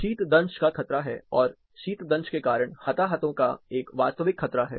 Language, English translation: Hindi, There is a danger of frostbite, and there is a real danger of casualties because of frostbite